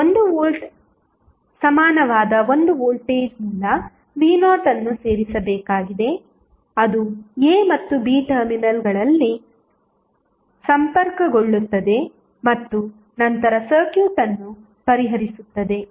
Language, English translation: Kannada, We need to add one voltage source v naught that is equal to 1 volt which would be connected across the terminals a and b and then solve the circuit